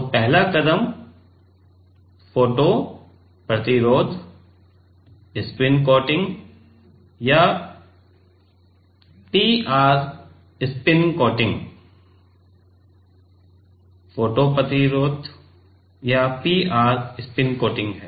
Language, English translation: Hindi, So, the first step is photo resist, spin coating or P R spin coating, photo resist or PR spin coating